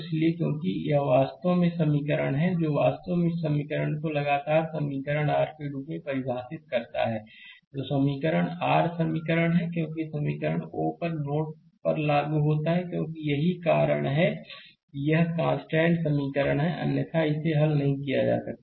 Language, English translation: Hindi, So, here because this is actually this equation actually your constant equation this equation the, this equation is your constant equation this equation because we apply KCL at node o because that is why it is a constant equation otherwise you cannot solve it right